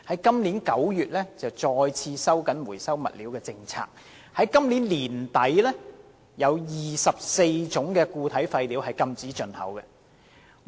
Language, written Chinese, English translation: Cantonese, 今年9月，內地再次收緊回收物料的政策 ，24 種固體廢料將於今年年底開始禁止進口。, In September this year the Mainland once again tightened up its policies on recyclables under which the importation of 24 types of solid waste will be banned by the end of this year